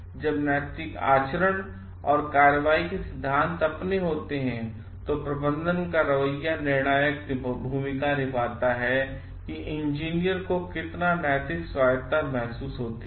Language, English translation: Hindi, When the moral conduct and principles of action are their own, the attitude of management plays a decisive role in how much moral autonomy the engineers feel they have